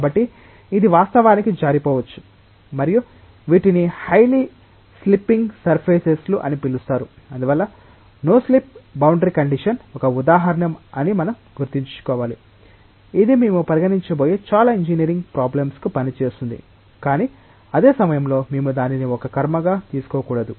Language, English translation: Telugu, So, it may actually slip and these are called as highly slipping surfaces therefore, we have to keep in mind that no slip boundary condition is a paradigm, which will work for most of the engineering problems that we are going to consider, but at the same time we should not take it as a ritual